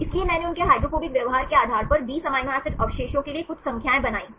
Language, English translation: Hindi, So, I made some numbers for the 20 amino acid residues, based upon their hydrophobic behavior